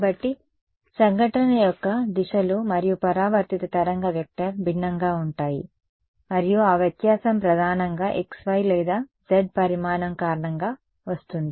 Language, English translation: Telugu, So, the directions of the incident and the reflected wave vector are different and that difference is primarily coming because of which dimension x, y or z